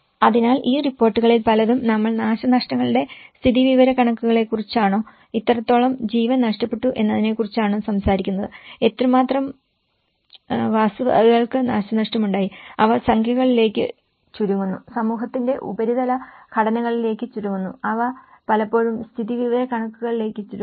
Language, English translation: Malayalam, So, many of these reports whether we talk about the damage statistics, how much loss of life is damaged, how much property has been damaged, they are narrowed down to the numericals, they are narrowed down to the surface structures of the society and they are often reduced to the statistical terms